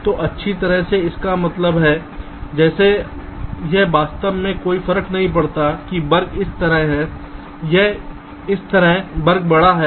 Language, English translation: Hindi, so well, means ah, like it really does not matter whether square is like this or this square is bigger